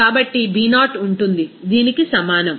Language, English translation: Telugu, So B0 will be is equal to this